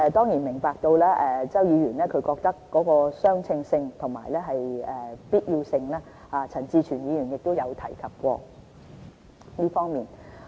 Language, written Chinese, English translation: Cantonese, 我們明白周議員提出相稱性和必要性的問題，陳志全議員亦有提及過這方面。, We appreciate the question of proportionality and necessity raised by Mr CHOW . Mr CHAN Chi - chuen has mentioned this too